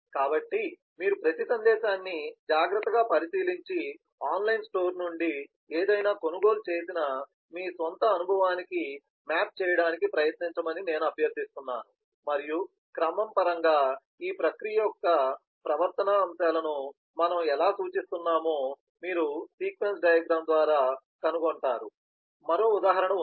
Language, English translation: Telugu, so i would request that you carefully go through each and every message and try to map it to your own experience of having purchased anything from the online store and you will find that how we are representing those behavioural aspects of the process in terms of the sequence diagram